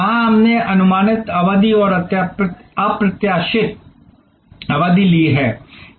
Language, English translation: Hindi, There we have taken predictable duration and unpredictable duration